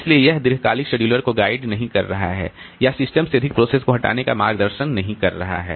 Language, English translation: Hindi, So, this is not guiding your this long term scheduler to introduce more processes or remove more processes from the system